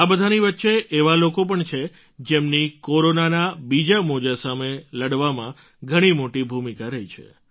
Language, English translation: Gujarati, Amidst all this, there indeed are people who've played a major role in the fight against the second wave of Corona